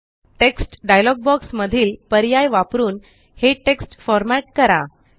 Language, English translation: Marathi, Format this text using the options in the Text dialog box